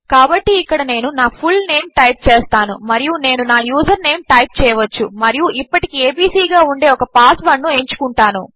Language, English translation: Telugu, So here I will just type my full name and I can type my username and choose a password which will be abc for now